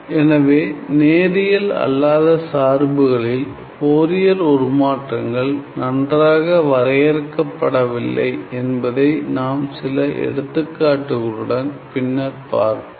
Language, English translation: Tamil, So, the Fourier transforms of non linear functions are not quite well defined as we will again sees in some of our examples later on